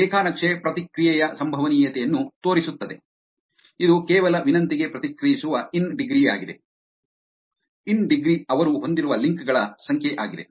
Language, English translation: Kannada, This graph is showing the probability of response which is in terms of just responding to a request with the in degree, in degree is number of links that they have